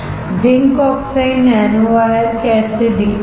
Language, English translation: Hindi, How zinc oxide nanowires look like